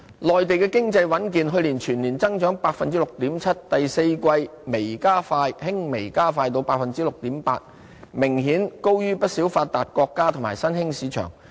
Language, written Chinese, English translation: Cantonese, 內地經濟穩健，去年全年增長達 6.7%， 第四季輕微加快至 6.8%， 明顯高於不少發達國家和新興市場。, The Mainland economy performed soundly growing 6.7 % last year and growth in the fourth quarter accelerated modestly to 6.8 % much faster than many advanced countries and emerging markets